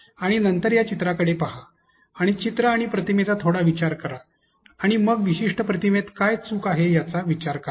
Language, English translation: Marathi, And then look into this picture here, and take a moment think of the picture and image, and then think of what is wrong with this particular image here